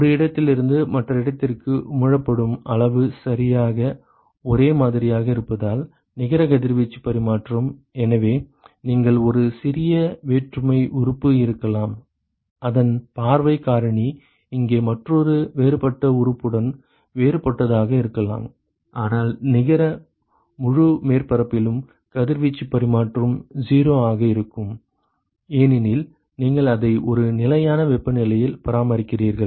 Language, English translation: Tamil, Because the amount that is emitted from one location to the other location is exactly the same and so, the net radiation exchange so, note that you may have a small differential element whose view factor with another differential element here could be different, but the net radiation exchange over the whole surface within itself is going to be 0 because, you are maintaining it at a constant temperature